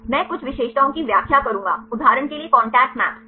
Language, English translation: Hindi, I will explain some of the features for example, contact maps right